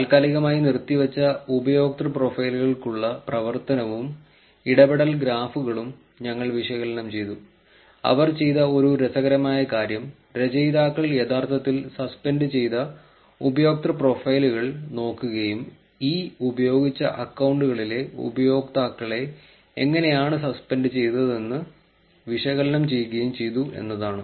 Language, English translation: Malayalam, We analysed the activity and interaction graphs for the suspended user profiles, one interesting thing that they did was the authors actually looked at the suspended user profiles and did analysis of what kind of users at these used accounts were suspended